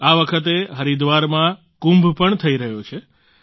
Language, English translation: Gujarati, This time, in Haridwar, KUMBH too is being held